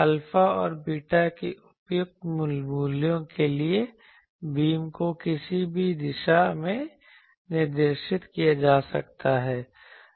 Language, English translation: Hindi, For suitable values of alpha and beta, the beam can be directed in any direction